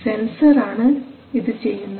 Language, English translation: Malayalam, So this is a sensor